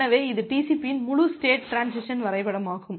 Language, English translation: Tamil, So, this is the entire state transition diagram of TCP